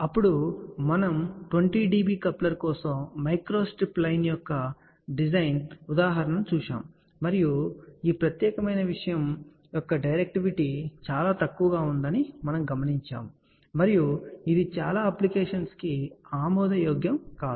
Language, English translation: Telugu, Then we looked at the design example of a microstrip line for a 20 dB coupler and we had noticed that the directivity of this particular thing was very poor and that is not acceptable for many of the applications